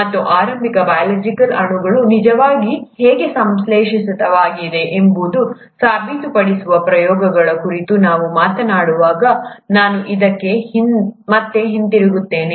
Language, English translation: Kannada, And I’ll come back to this when we talk about experiments which actually go on to prove how the initial biological molecules actually got synthesized